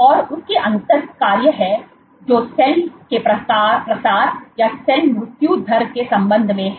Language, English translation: Hindi, And these have differential functions which regards to cell spreading or cell mortality